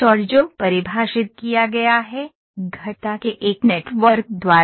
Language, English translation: Hindi, And which is defined, by a network of curves